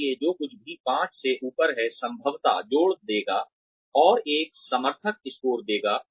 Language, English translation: Hindi, So, anything that is above five, probably would add up, and give an advocate score